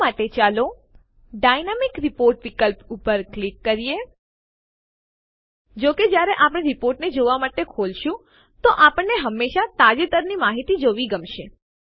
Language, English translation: Gujarati, For this, let us click on the Dynamic Report option, as we would always like to see the latest data, whenever we open the report for viewing